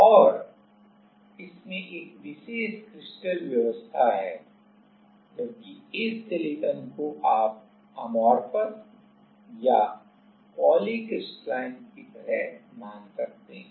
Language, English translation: Hindi, And, this has a particular crystal arrangement whereas, this silicon you can consider it like amorphous or polycrystalline